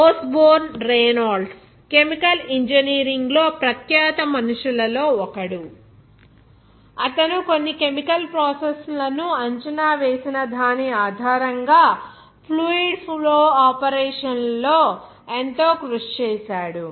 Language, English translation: Telugu, Osborne Reynolds, he is also one of the renowned peoples in chemical engineering who has contributed a lot in fluid flow operation based that in which all chemical processes are assessed